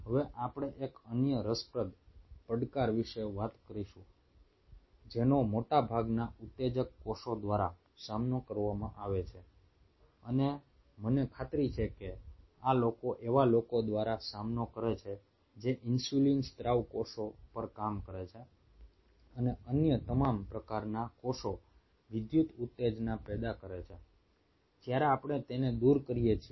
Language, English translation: Gujarati, now we will talk about another interesting challenge which is faced by most of the excitable cells and i am pretty sure this is faced by people who work on insulin secretion cells and all those kind of other cell types is the electrical excitability